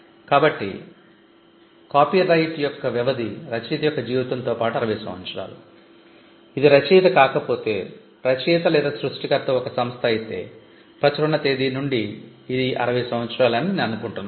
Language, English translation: Telugu, So, the duration of a copyright is life of the author plus 60 years, if it is not an author if the author or the creator is an institution then the institution from the date of the publication or from the date is varies for another term I think it is 60 years